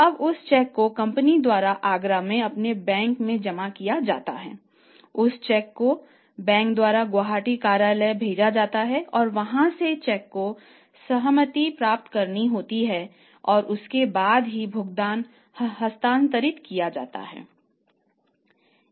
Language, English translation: Hindi, So that check when will be deposited by the company in Agra in their own bank that check will be sent by the bank to the Gauhati office and from there the concurrence of the check has to be obtained and then only the payment can be transferred